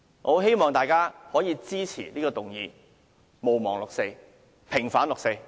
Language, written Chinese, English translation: Cantonese, 我希望大家支持這項議案：毋忘六四，平反六四。, I hope Members will support this motion Do not forget the 4 June incident . Vindicate the 4 June incident